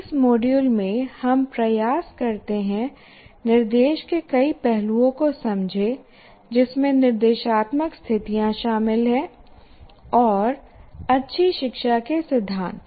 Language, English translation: Hindi, So in this module we attempt to understand several aspects of instruction including instructional situations, how brains learn and the principles for good learning